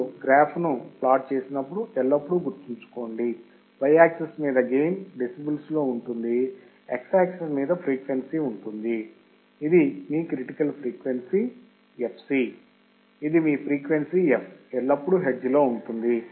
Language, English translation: Telugu, Always remember when you plot the graph, y axis is gain which can be in decibels, x axis is frequency, this is your critical frequency fc, this is your frequency f is always in hertz